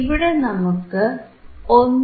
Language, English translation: Malayalam, So, then we have 1